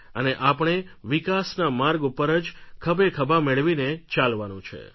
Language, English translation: Gujarati, We have to walk together towards the path of development